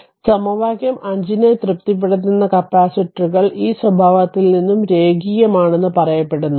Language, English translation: Malayalam, So, that means capacitors that is satisfies equation 5 are said to be linear the from this characteristic also